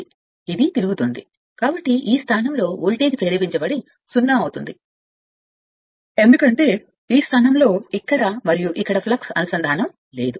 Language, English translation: Telugu, So, it is revolving, so at this position the voltage induced will be 0, because no flux linkage here and here at this position